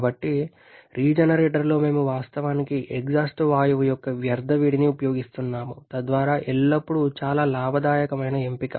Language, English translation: Telugu, So, in the regenerator then we are actually making use of the waste heat of the exhaust gas thereby is always a very profitable option